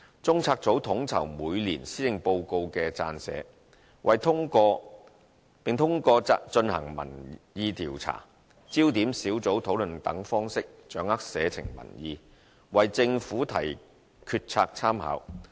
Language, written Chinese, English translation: Cantonese, 中策組統籌每年施政報告的撰寫，並通過進行民意調查、焦點小組討論等方式掌握社情民意，為政府提決策參考。, CPU coordinates the drafting of annual Policy Address and assesses public opinions for Governments reference in decision making through methods like conducting public opinion polls and focus group discussions